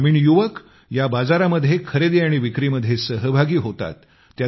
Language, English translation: Marathi, The rural youth are directly involved in the process of farming and selling to this market